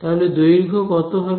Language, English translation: Bengali, And how much length